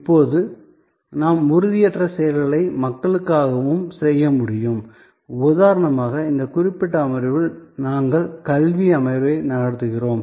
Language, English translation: Tamil, Now, we can have also intangible actions and meant for people and that will be like for example, this particular session that we are having an educational session